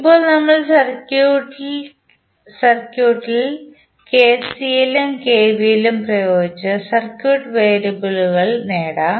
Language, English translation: Malayalam, Now, let us apply KCL and KVL to the circuit and obtain the circuit variables